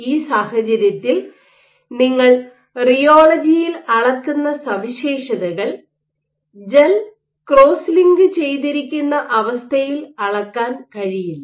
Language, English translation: Malayalam, So, in this case the properties that you measure in rheology versus you measure under the condition in this in which the gel is cross linked